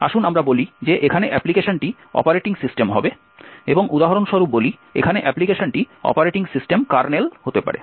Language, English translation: Bengali, Let us say the application here would be the operating system and say for example the application here for example could be the Operating System Kernel